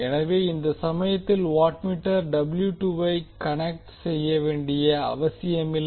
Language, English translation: Tamil, That means that in this case, the watt meter W 2 is not necessary to be connected